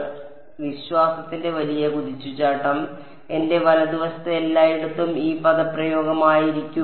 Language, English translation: Malayalam, So, the big leap of faith is going to be that everywhere in my right hand side this expression over here